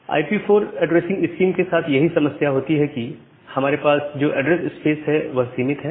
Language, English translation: Hindi, So, that is the major problem with IPv4 addressing scheme that the number of address space that we have it is limited